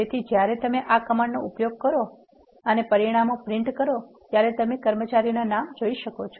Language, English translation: Gujarati, So, when you use this command and print the result you can see the names of the employees that are printed